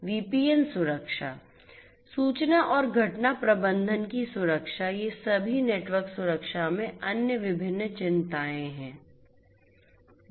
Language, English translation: Hindi, VPN security, security of information and event management these are all the different other concerns in network security